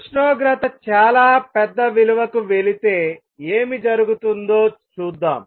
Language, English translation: Telugu, Let us see what happens if the temperature goes to a very large value